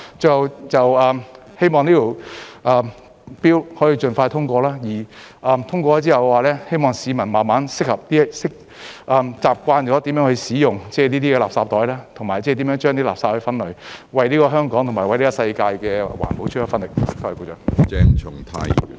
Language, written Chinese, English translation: Cantonese, 最後，希望這項 Bill 可以盡快通過，之後希望市民慢慢適應、習慣如何使用這些垃圾袋，以及為垃圾分類，為香港和世界的環保出一分力。, In closing I hope this Bill will be passed as expeditiously as possible after which I hope that members of the public can adapt gradually and get accustomed to using these garbage bags and separating waste so as to do their part to help protect the environment in Hong Kong and the world